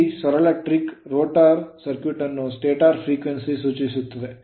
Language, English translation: Kannada, So, this simple trick refers to the rotor circuit to the stator frequency